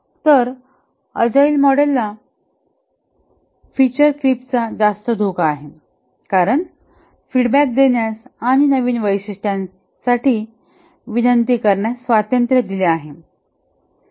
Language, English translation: Marathi, So, there is a higher risk of feature creep in the agile model because the freedom is given to give feedback and request for new features and so on